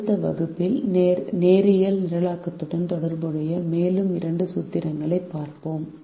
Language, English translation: Tamil, in the next class we will look at two more formulations related to linear programming